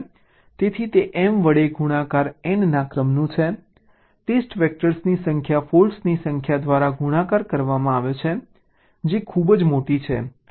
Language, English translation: Gujarati, so it is of the order of n multiplied by m, number of test vectors multiplied by number of faults, which is pretty large